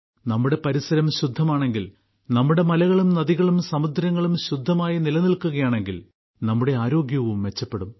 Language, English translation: Malayalam, If our environment is clean, our mountains and rivers, our seas remain clean; our health also gets better